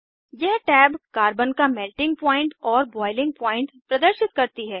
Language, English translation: Hindi, Click on Thermodynamics tab This tab shows Melting Point and Boiling point of Carbon